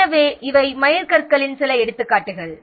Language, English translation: Tamil, So, these are few examples of milestones